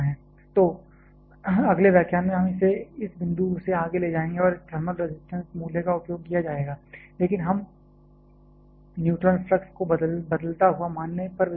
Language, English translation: Hindi, So, in the next lecture we shall be taking it from this point onwards where this thermal resistance value will be utilized, but we shall be considering the neutron flux to be varying